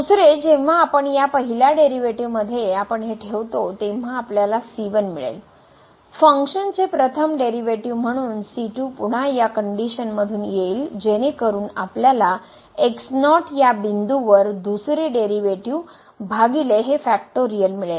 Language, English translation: Marathi, The second when we substitute in this first derivative so you will get , as the first derivative of the function the again from this condition so we will get the second derivative at divided by this factorial; sorry to factorial here and then the will be the n th derivative at divided by factorial